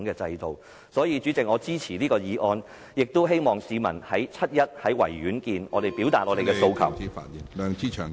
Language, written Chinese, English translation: Cantonese, 因此，主席，我支持這項議案，希望與市民於7月1日在維多利亞公園見......, Therefore President I support this motion and hope to see members of the public at the Victoria Part on 1 July